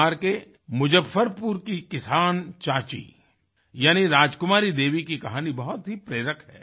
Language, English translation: Hindi, 'Farmer Aunty' of Muzaffarpur in Bihar, or Rajkumari Devi is very inspiring